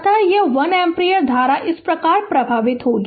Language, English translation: Hindi, So, this 1 ampere current will be flowing like this